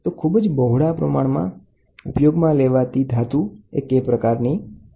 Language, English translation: Gujarati, So, most predominantly used one is K type